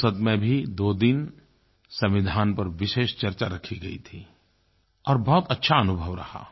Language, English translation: Hindi, We organized a two day special discussion on the constitution and it was a very good experience